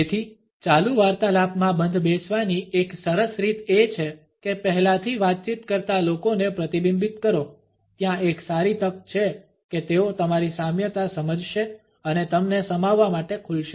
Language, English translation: Gujarati, So, a great way to fit into an ongoing conversation is to mirror the people already conversing; there is a good chance they will sense your kinship and open up to include you